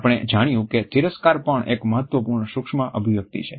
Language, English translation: Gujarati, We find that contempt is also an important micro expression